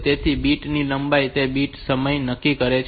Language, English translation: Gujarati, So, bit length is decided by determining that bit timing